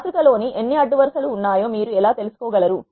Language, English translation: Telugu, How can you know how many rows are there in the matrix